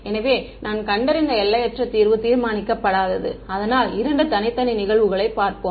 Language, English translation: Tamil, So, infinite solution that I found is undetermined, let us look at two separate cases ok